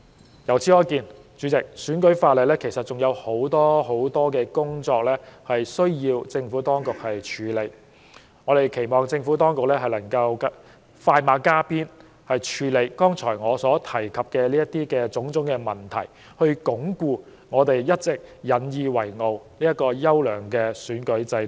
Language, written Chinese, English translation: Cantonese, 代理主席，由此可見，選舉法例仍有很多問題需要政府當局處理，我們期望政府當局快馬加鞭，處理我剛才提及的種種問題，以鞏固我們一直引以自豪的優良選舉制度。, It is thus evident Deputy President that there are still many problems in the electoral legislation that need to be addressed by the Administration . We hope the Government will move swiftly to address those problems mentioned by me just now thereby bolstering an excellent electoral system of which we have always been proud